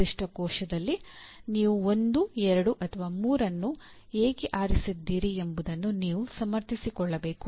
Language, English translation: Kannada, You have to justify why you chose 1, 2 or 3 in a particular cell